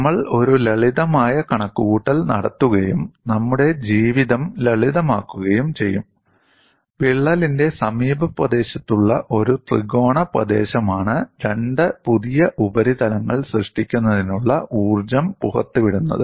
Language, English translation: Malayalam, We will make a simple calculation and to make our life simple, we consider a triangular area in the neighborhood of the crack is what is releasing the energy to form the two new surfaces, it could be any shape